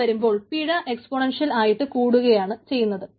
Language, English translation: Malayalam, in other sense, this penalty grows exponentially